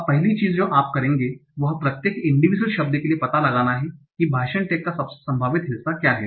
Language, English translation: Hindi, Now, the first thing you will do is to find out for each individual word what is the most likely part of speech tag